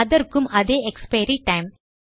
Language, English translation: Tamil, And thatll have the same expiry time